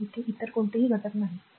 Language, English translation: Marathi, So, there is no other element here